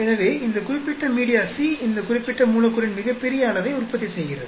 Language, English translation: Tamil, So, this particular media C seems to be producing largest amount of this particular molecule